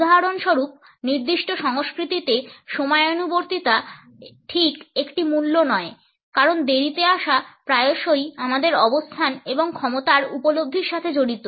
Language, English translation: Bengali, In certain cultures for example, punctuality is not exactly a value because late coming is often associated with our status and perceptions of power